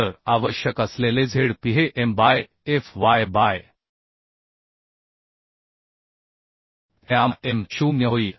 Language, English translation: Marathi, So Zp require will become M by Fy, by gamma m0